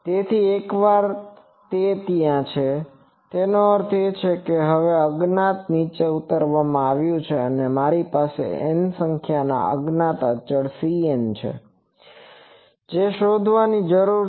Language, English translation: Gujarati, So, once that is there; that means, now this unknown has been boiled down to that I have N number of capital N number of unknown constants c n which needs to be determined